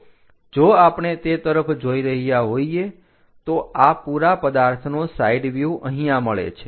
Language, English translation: Gujarati, So, if we are looking at that, the side view of this entire object maps here